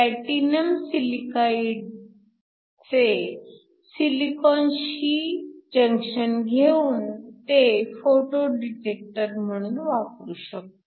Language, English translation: Marathi, You could have platinum silicide forming a junction with silicon and that can use as a photo detector